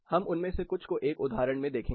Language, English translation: Hindi, We will look at few of them in an example